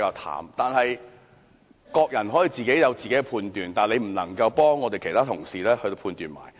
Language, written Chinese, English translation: Cantonese, 然而，各人皆有各自的判斷，他不能夠替其他同事判斷。, Nevertheless everyone should have his own judgment and he cannot make judgment for other colleagues